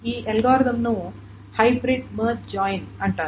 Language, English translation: Telugu, So that is why it is called a hybrid merge joint